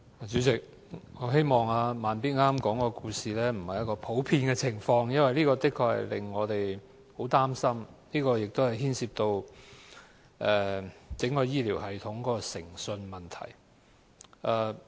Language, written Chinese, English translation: Cantonese, 主席，我希望"慢咇"剛剛說的故事不是一個普遍的情況，否則的確令我們很擔心，因為這牽涉到整個醫療系統的誠信問題。, President I hope that the story which Slow Beat has told us is not a common phenomenon in society otherwise I feel really worried as this involves the integrity of the entire health care system